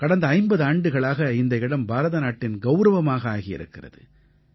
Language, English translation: Tamil, For the last five decades, it has earned a place of pride for India